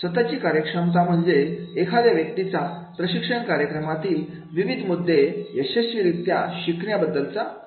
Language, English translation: Marathi, Self efficacy means people's belief that they can successfully learn the training program content